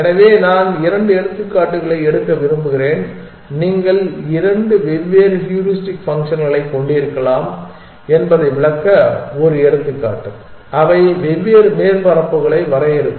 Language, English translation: Tamil, So, I would want to take a couple of examples one example to illustrate that you can have two different heuristic functions and they will define different surfaces